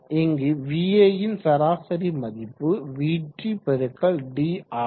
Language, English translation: Tamil, And the average value of Va here is Vt x d